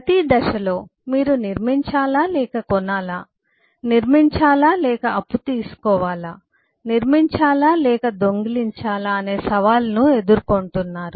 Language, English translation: Telugu, at every point you are faced with a challenge of whether to build or to buy, whether to build or to borrow, whether to build or to steal